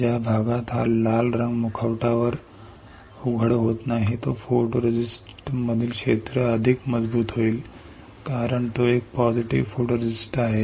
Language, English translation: Marathi, The area which is not exposed this red one on the mask that area in the photoresist will be stronger, since it is a positive photoresist